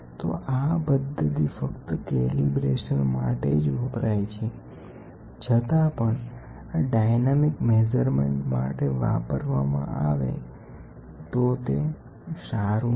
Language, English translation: Gujarati, So, this is only a calibration method which we use, but if we start using it for a dynamic measurements, it is not good